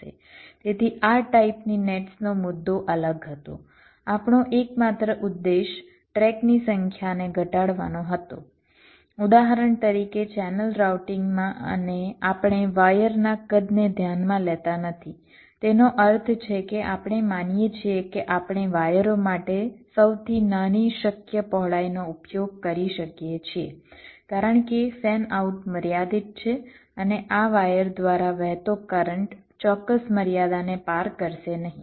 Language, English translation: Gujarati, our sole objective was to minimize the number of tracks, for example in channel routing, and we did not consider the sizing of the wires, which means we assume that we can use this smallest possible width for the wires because fan out is limited and the current flowing through these wires will not cross certain limit